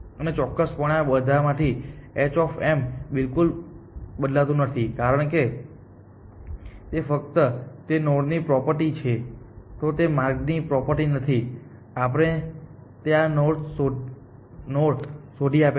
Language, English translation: Gujarati, And f of course, becomes in all these h of m is not changing at all because, it is just a property of that node, it is not the property of that what path we have found to this node